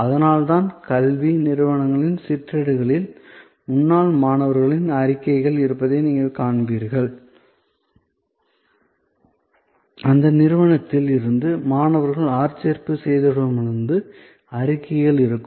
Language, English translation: Tamil, So, that is why, you will see that in the brochures of educational institutes, there will be statements from alumni, there will be statements from people who have recruited students from that institute and so on